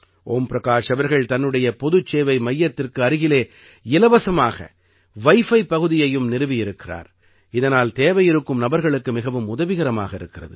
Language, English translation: Tamil, Om Prakash ji has also built a free wifi zone around his common service centre, which is helping the needy people a lot